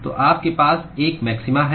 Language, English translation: Hindi, So, you have a maxima